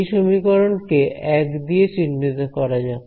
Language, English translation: Bengali, So, let us call this equation 1 over here